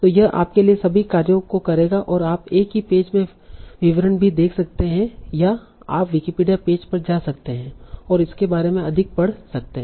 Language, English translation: Hindi, So it will avoid, it will do all the task for you and you can even see the description in the same page or you can go to the Wikipedia page and read more about it